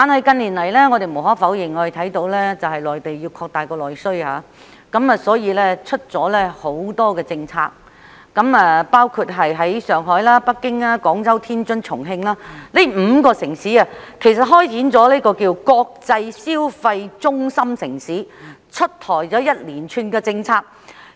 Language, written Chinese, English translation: Cantonese, 近年來，內地要擴大內需，因而推出了很多政策，包括在上海、北京、廣州、天津和重慶這5個城市開展名為"國際消費中心城市"的建設工作，推出一連串政策。, In recent years the Mainland has launched many policies to boost its domestic demand . For example a series of policies have been introduced to develop five cities including Shanghai Beijing Guangzhou Tianjin and Chongqing into international consumption centre cities